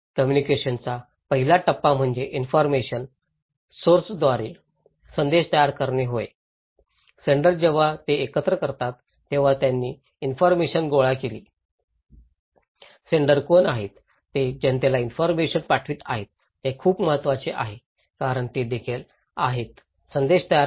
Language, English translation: Marathi, The first stage of communication is the framing of message by an information source so, the senders they frame the information at first right they collect so, who are senders is very important who are sending the informations to the public is very important because they are also framing the message